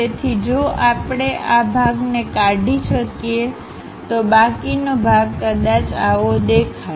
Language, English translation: Gujarati, So, if we can remove this part, the left over part perhaps looks like that